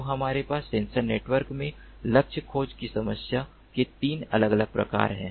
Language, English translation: Hindi, ok, so we have three distinct types of formulation of the problem of target tracking in sensor networks